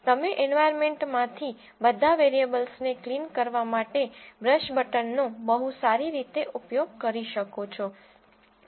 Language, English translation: Gujarati, You can very well use the brush button to clear all the variables from the environment